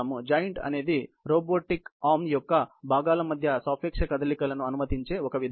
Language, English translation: Telugu, A joint is a mechanism that permits relative movement between parts of the robot arm